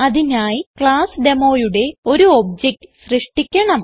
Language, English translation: Malayalam, For that I have created a class Demo